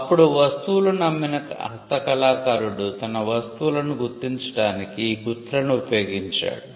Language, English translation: Telugu, Now, craftsman who sold goods used marks to identify their goods